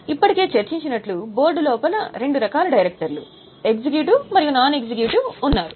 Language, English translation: Telugu, Now within the board as we have already discussed there are two types of directors executive and non executive